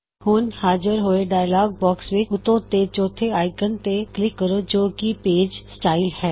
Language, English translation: Punjabi, Now in the dialog box which appears, click on the 4th icon at the top, which is Page Styles